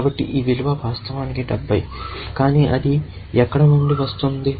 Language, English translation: Telugu, So, this value is actually, 70 where is it coming from